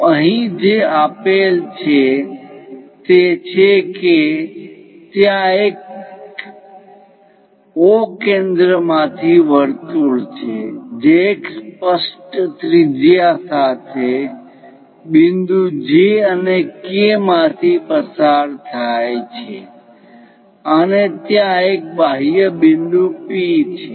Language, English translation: Gujarati, So, here what is given is there is a circle having a centre O, passing through points J and K with specified radius and there is an external point P